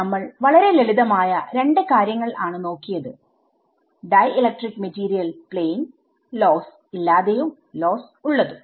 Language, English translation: Malayalam, So, what we have looked at is two very very simple cases dielectric material plane I mean without loss and with loss